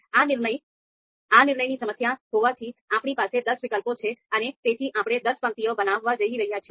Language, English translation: Gujarati, So since in this decision problem we have ten alternatives, therefore we are going to create ten rows